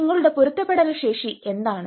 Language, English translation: Malayalam, what is your resilience potentialities